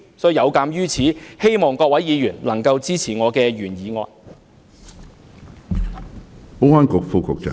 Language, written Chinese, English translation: Cantonese, 有見及此，希望各位議員能夠支持我的原議案。, In view of this I hope Members will support my original motion